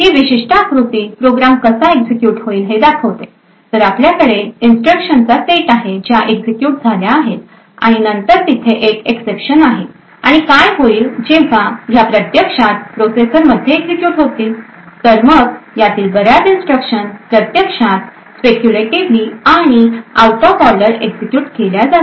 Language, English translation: Marathi, So this particular figure shows how this program executes so we have a set of instructions that gets executed and then there is an exception and what happens when these actually gets executed in the processor is that many of these instructions will actually be executed speculatively and out of order